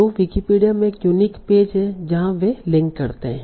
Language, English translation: Hindi, So there is a unique page in Wikipedia where they link to